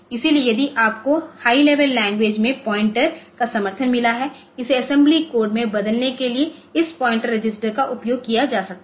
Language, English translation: Hindi, So, if you have got pointer supported in high level language to convert it into assembly code this pointer registers can be used